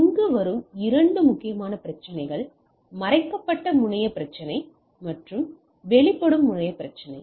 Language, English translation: Tamil, Two major problem which comes up here is, the hidden terminal problem and exposed terminal problem